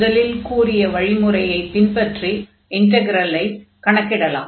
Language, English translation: Tamil, So, let us take the first one and then compute this integral